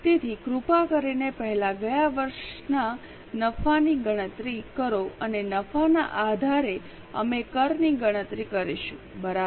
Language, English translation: Gujarati, So, please calculate last year's profit first and based on the profit we will be able to calculate the taxes